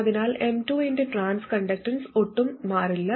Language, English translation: Malayalam, So the transconductance of M2 doesn't change at all